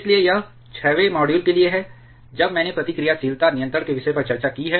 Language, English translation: Hindi, So, that's it for the 6th module, when I have discussed about the topic of reactivity control